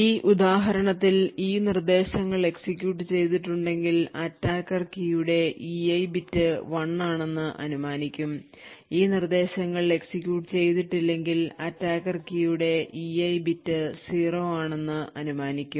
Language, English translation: Malayalam, Example over here, if these instructions have executed then the attacker would infer a value of 1 for that E I bit of key, if these instructions have not been executed then the attacker will infer that the E I bit is 0